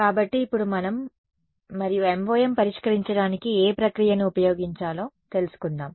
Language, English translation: Telugu, So, now let us and what procedure did we use for finding solving this MoM